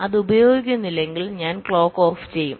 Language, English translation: Malayalam, if it is not been used, i switch off the clock